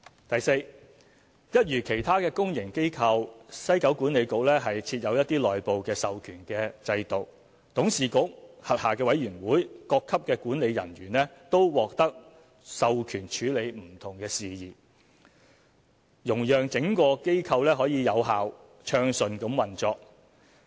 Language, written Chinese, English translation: Cantonese, 第四，一如其他公營機構，西九管理局設有內部授權制度，董事局、轄下委員會、各級管理人員均獲授權處理不同事宜，容讓整個機構有效、暢順地運作。, Fourth akin to other public bodies WKCDA has established a system of internal delegation of authority . The WKCDA Board its Committees and executives at different levels are delegated with authority to undertake different matters so that the organization as a whole can operate effectively and smoothly